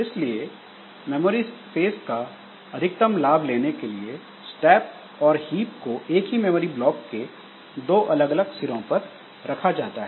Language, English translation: Hindi, So, to maximize the utilization of this part of the space, so the stack and hips, so they are allocated from the two ends of the same memory block